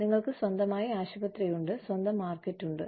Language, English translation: Malayalam, We have our own hospital, our own market